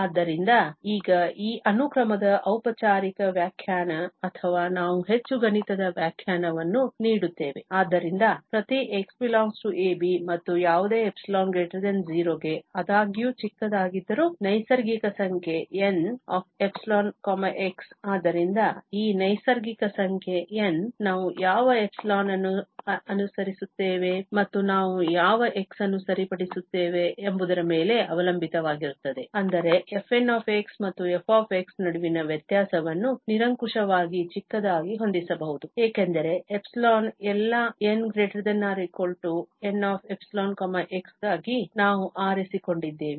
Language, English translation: Kannada, So, now, the formal definition of this sequence or we give more mathematical definition, so, for each x in this interval [a, b] and for any epsilon greater than 0, however small, there is a natural number N(epsilon, x), so, this natural number N depends on what epsilon we choose and what x we fix, such that this difference between fn and f can be set arbitrarily small because epsilon is what we have chosen for all n greater than or equal to N(epsilon, x)